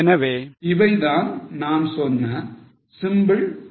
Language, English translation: Tamil, So, these were the simple illustrations